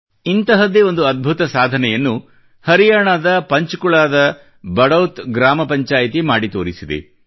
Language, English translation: Kannada, A similar amazing feat has been achieved by the Badaut village Panchayat of Panchkula in Haryana